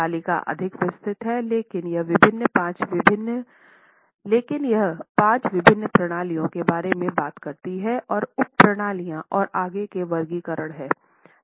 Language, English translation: Hindi, The table is much more elaborate, but it talks about five different systems and there are subsystems and further classifications